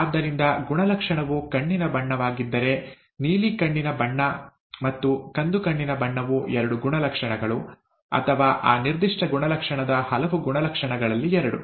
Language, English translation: Kannada, So, if the character happens to be eye colour, blue eye colour and brown eye colour are the two traits, or many, two of the many traits of that particular character